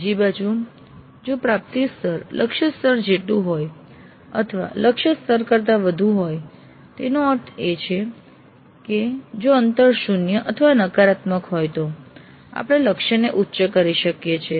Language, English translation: Gujarati, On the other hand, if the attainment level is equal to the target level or is greater than the target level, that means if the gap is zero or negative, we could enhance the target